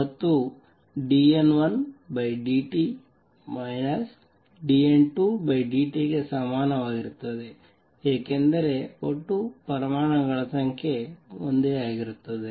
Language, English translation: Kannada, And d N 1 over dt is equal to minus d N 2 by dt, because the total number of atoms remains the same